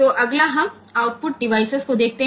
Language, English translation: Hindi, So, next we look into output device